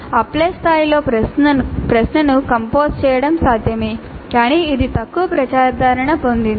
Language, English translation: Telugu, It is possible to compose a question at apply level but that is relatively less popular